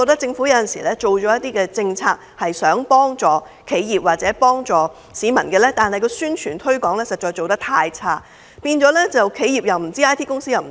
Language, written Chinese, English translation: Cantonese, 政府有時雖然推出政策幫助企業或市民，但宣傳推廣實在做得太差，企業不知道、IT 公司也不知道。, While the Government has from time to time introduced policies to support enterprises and benefit members of the public it is terribly weak in publicity and promotion . No one has ever heard of the adjustment not even IT companies